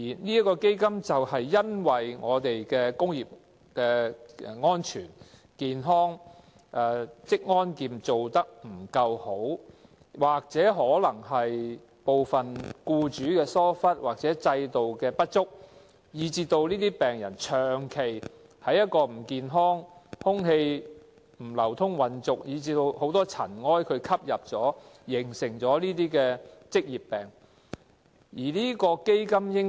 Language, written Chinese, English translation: Cantonese, 這個基金的設立，正因為我們的工業安全、職安健做得不夠好，也可能是部分僱主疏忽，或制度有不足，以致這些病人長期處於不健康、空氣不流通、混濁的環境，吸入太多塵埃而導致患上這些職業病。, The Fund is established because of the deficiencies in our work on industrial safety and occupational safety and health or because of some employers negligence as well as the inadequacies of the system . It is against this backdrop that patients constantly work in an unhealthy suffocating and polluted environment absorbing too many pollutants as they breathe and therefore suffer from these occupational diseases